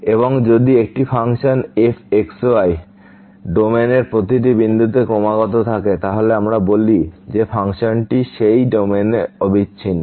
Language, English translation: Bengali, And if a function is continuous at every point in the domain D, then we call that function is continuous in that domain D